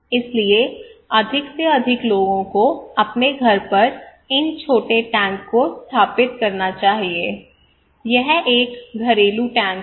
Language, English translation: Hindi, So more and more people should install these small tank at their own house, it is a household tank